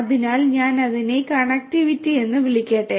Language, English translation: Malayalam, So, let me call it connectivity